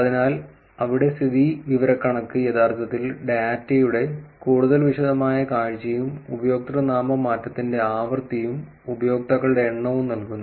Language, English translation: Malayalam, So, there the insight is actually giving you the more detailed view of the data, frequency of username change versus number of users